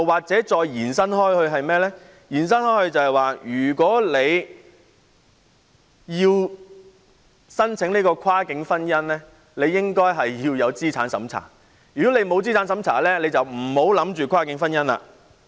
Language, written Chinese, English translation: Cantonese, 再延伸下去，如果要申請跨境婚姻便要通過資產審查，否則就不要考慮跨境婚姻了。, By the same token if applications for cross - boundary marriage are subject to asset tests and otherwise cross - boundary marriage is out of the question is this extrapolation reasonable?